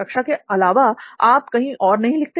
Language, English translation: Hindi, Other than the classroom environment, do you write anywhere else